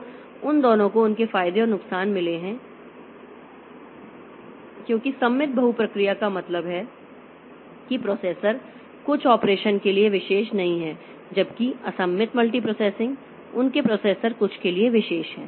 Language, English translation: Hindi, So, both of them have got their advantages and disadvantages because symmetric multiprocessing means they are the processors are not specialized for some operation whereas asymmetric multiprocessing their processors are specialized for something